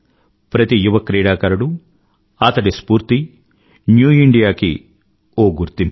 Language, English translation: Telugu, Every young sportsperson's passion & dedication is the hallmark of New India